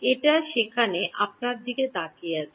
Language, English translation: Bengali, It is there staring at you